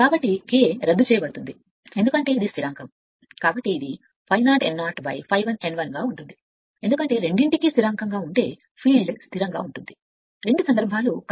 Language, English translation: Telugu, So, K will be cancel because where these are constant, so it is phi 0 n 0 upon phi 1 n 1, because but field is constant if is constant for both the cases current is 1 ampere